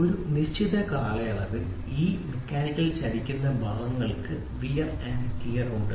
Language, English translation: Malayalam, These mechanical moving parts over a period of time have wear and tear